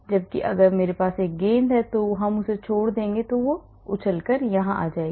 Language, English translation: Hindi, Whereas if I have a ball here it will come here if you drop it